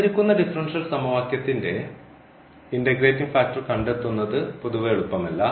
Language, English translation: Malayalam, It is not in general easy to find the integrating factor of the given differential equation